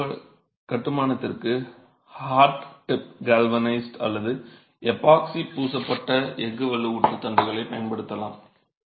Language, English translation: Tamil, You could use rods that are hot dip galvanized or epoxy coated steel reinforcement for the construction